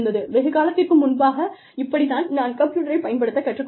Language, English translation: Tamil, So, that was the time, I mean, that is how, I learnt, how to use a computer, long time back